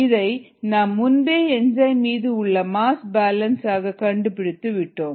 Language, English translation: Tamil, we had derived this earlier through a mass balance on the enzyme